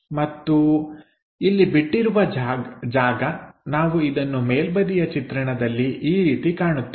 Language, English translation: Kannada, And this left over portion we will see it in the top view in that way